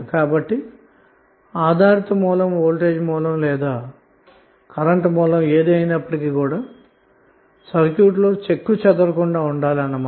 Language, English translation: Telugu, So dependent source may be voltage or current source should be left intact in the circuit